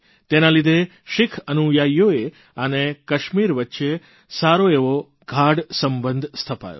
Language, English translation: Gujarati, This forged a strong bond between Sikh followers and Kashmir